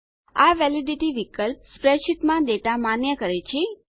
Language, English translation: Gujarati, The Validity option validates data in the spreadsheet